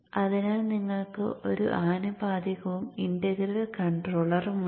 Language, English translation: Malayalam, So you have the proportional and the integral controller